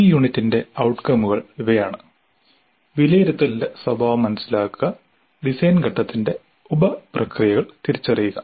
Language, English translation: Malayalam, The outcomes for this unit are understand the nature of assessment, identify the sub processes of design phase